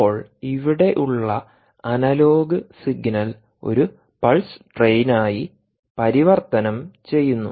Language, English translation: Malayalam, now the analogue signal here is converted to a pulse train